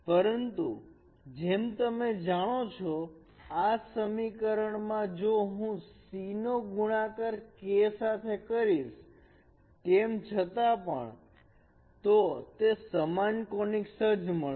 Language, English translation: Gujarati, But as you know in this equation if I multiply this C with K still it remains the same conics